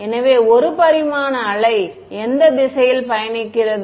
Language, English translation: Tamil, So, one dimensional wave going which direction is this wave traveling